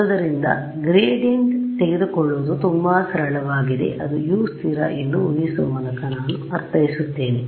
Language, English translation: Kannada, So, to take gradient is very simple that is what I mean by assuming U constant